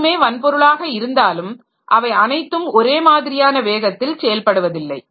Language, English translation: Tamil, So, though everything is hardware, but everything does not operate at the same speed